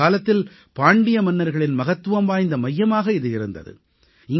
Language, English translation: Tamil, Once it was an important centre of the Pandyan Empire